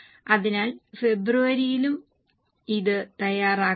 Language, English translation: Malayalam, So, now please prepare it for February also